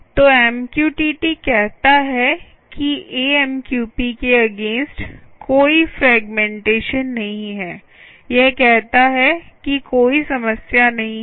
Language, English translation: Hindi, so mqtt says no fragmentation, no fragmentation, as against amqp, it says no problem